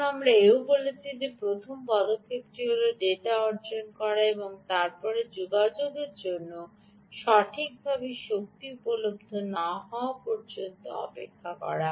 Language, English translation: Bengali, now we also said that first step is to go and acquire data and then wait until energy is available for a communication